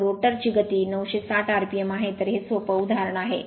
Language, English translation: Marathi, So, rotor speed is 960 rpm